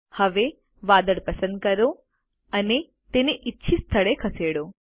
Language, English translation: Gujarati, Now select the cloud and move it to the desired location